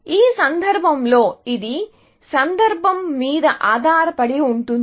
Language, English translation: Telugu, In this case, it could be context dependent